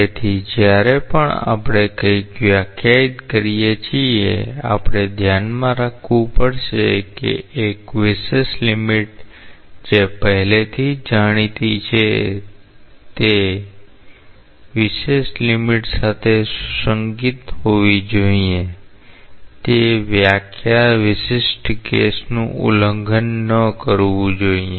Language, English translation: Gujarati, So, whenever we are defining something; we have to keep in mind that in a special limit which is already known it should be consistent with that special limit; the definition should not violate that special case